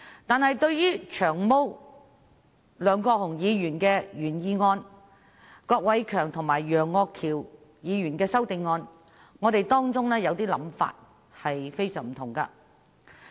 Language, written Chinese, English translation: Cantonese, 但是，對於梁國雄議員的原議案，以及郭偉强議員和楊岳橋議員的修正案，我們有些想法卻非常不同。, But as regards Mr LEUNG Kwok - hungs original motion and the amendments of Mr KWOK Wai - keung and Mr Alvin YEUNG some of our views differ greatly from theirs